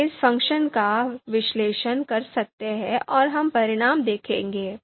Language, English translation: Hindi, So we can use this function analyze and we will see the results